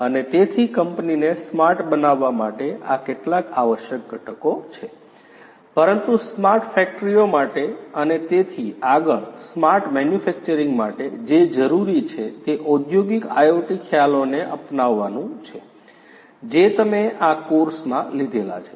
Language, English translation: Gujarati, And so these are some of the essential components for making the company smart, but for smart factories and so on for smart manufacturing what is required is the adoption of industrial IoT concepts that you have learned in the course